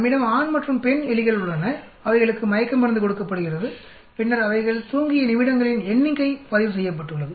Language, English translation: Tamil, We have male and female rats, they are given hypnotic drug and then number of minutes they slept in minutes are recorded